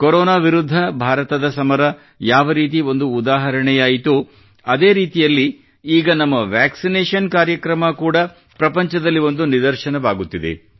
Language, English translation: Kannada, Just as India's fight against Corona became an example, our vaccination Programme too is turning out to be exemplary to the world